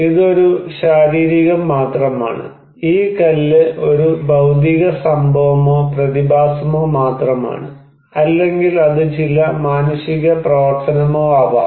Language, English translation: Malayalam, It is just a physical, this stone is just a physical event or phenomena, or it could be some human activity also